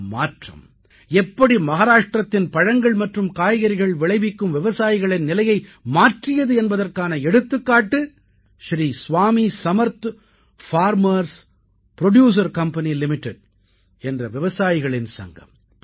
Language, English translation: Tamil, An example of how this reform changed the state of farmers growing fruits and vegetables in Maharashtra is provided by Sri Swami Samarth Farm Producer Company limited a Farmer Producer's Organization